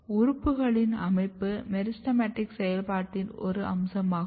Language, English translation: Tamil, The arrangement of the organs which is a feature of ahh meristematic activity